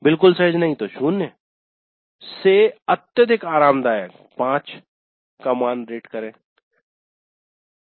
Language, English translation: Hindi, Not at all comfortable zero to highly comfortable five